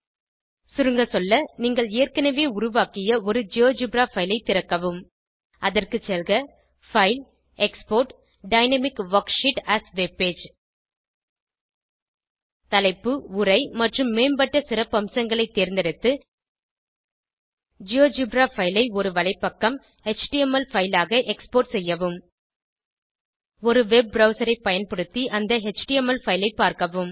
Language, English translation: Tamil, To Summarise, Open a GeoGebra file that you have already created , select Menu option File Export Dynamic Worksheet as webpage Choose the Title, Text and Advanced features and Export your GeoGebra file as a webpage, html file View the html file using a web browser